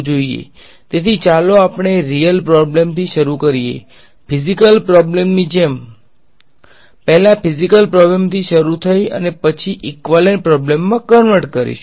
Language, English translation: Gujarati, So, let us let us start with start with the real problem the physical problem like earlier started with physical problem and then the converted into an equivalent problem